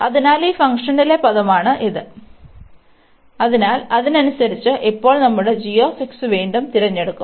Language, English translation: Malayalam, So, this is the term here in this function, so accordingly we will choose now again our g x